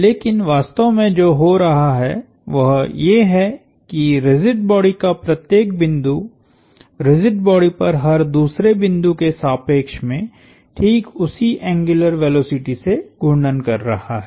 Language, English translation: Hindi, But, what actually is happening is that every point on the rigid body is rotating about every other point on the rigid body with exactly the same angular velocity